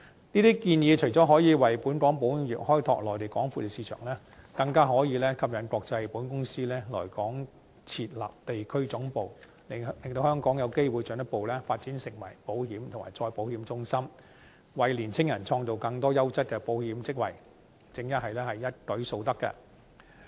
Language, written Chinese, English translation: Cantonese, 這些建議除了可以為本港保險業開拓內地廣闊的市場，更可以吸引國際保險公司來港設立地區總部，令香港有機會進一步發展成為保險及再保險中心，為青年人創造更多優質的保險職位，正是一舉數得。, Not only do these proposals enable the insurance industry of Hong Kong to explore the huge market on the Mainland but they also induce international insurance companies to establish regional headquarters in Hong Kong so that Hong Kong may further develop into an insurance and reinsurance centre and create more quality insurance jobs for young people gaining various ends at once